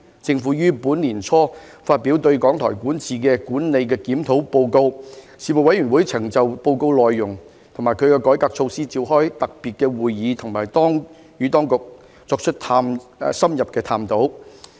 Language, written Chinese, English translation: Cantonese, 政府於本年年初發表對港台管治的管理檢討報告，事務委員會曾就報告內容及其改革措施召開特別會議，以及與當局作出深入的探討。, Following the release of the Governments Review Report on the management of RTHK the Report earlier this year the Panel convened a special meeting to discuss the Report and its reform measures and had in - depth discussions with the Administration